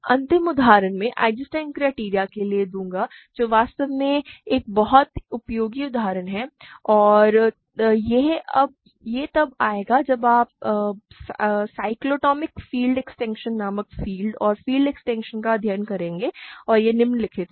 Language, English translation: Hindi, So, the final example I will give for Eisenstein criterion which is actually a very useful example and it will come when we study fields and field extensions called cyclotomic field extensions and this is the following